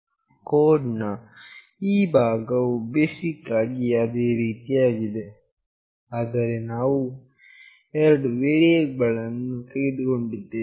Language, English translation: Kannada, This part of the code is the same basically, but we have taken two variables